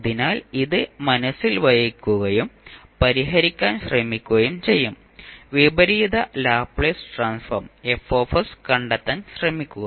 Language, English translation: Malayalam, So, we will keep this in mind and try to solve the, try to find out the inverse Laplace transform, Fs